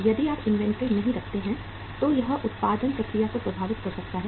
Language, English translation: Hindi, If you do not keep inventory it may impact the production process